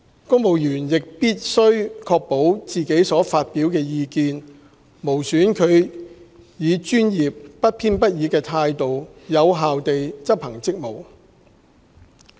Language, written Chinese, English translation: Cantonese, 公務員亦必須確保自己所發表的意見，無損他們以專業、不偏不倚的態度有效地執行職務。, Civil servants shall also at all times ensure that their views would not impede their performance of official duties in a professional and fair manner